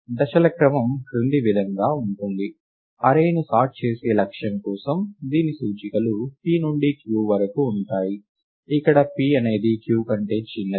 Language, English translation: Telugu, The sequence of steps are as follows; for the goal of sorting an array, whose indices are in the interval p to q, where p is smaller than q